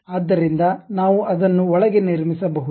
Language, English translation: Kannada, So, inside also we can construct it